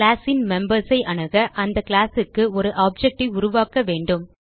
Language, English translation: Tamil, To access the members of a class , we need to create an object for the class